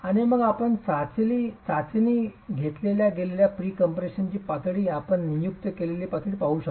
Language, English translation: Marathi, And then if you can change the level of pre compression, you have designated levels at which the test is being conducted